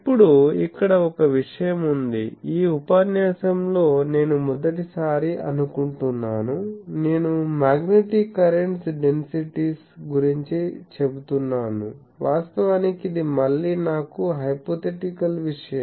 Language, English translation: Telugu, Now, here there is a thing that for the first time I think in this lecture, I am telling about magnetic current densities actually this is a again I am hypothetical thing